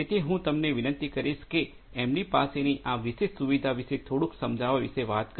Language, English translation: Gujarati, So, I would request you to talk about little bit you know explain about this particular facility that you have